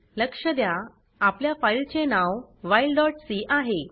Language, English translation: Marathi, Note that our file name is while.c